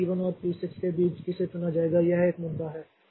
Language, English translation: Hindi, Now between say P1 and P6 which one will be picked up so that is an issue